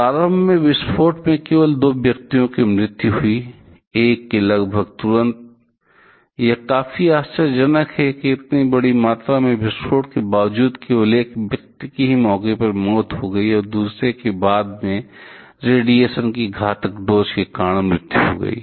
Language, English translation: Hindi, Initially only 2 persons died in the facility of following the explosion; one of the on one that almost instantly this is quite surprised it was despite such a huge amount of explosion only one person died on spot and the other died later due to deadly doses of radiation